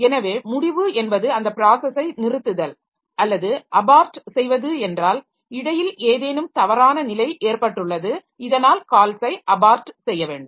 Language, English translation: Tamil, So, ending is just terminating that process or aborting is in between there is some erroneous condition that has occurred so that has to abort the call